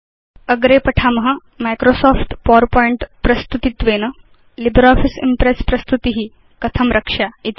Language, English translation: Sanskrit, Next, we will see how to open a Microsoft PowerPoint Presentation in LibreOffice Impress